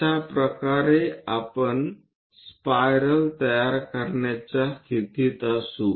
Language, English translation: Marathi, That way, we will be in a position to construct a spiral